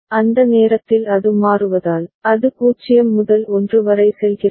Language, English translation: Tamil, And at that time since it is toggling, it goes from 0 to 1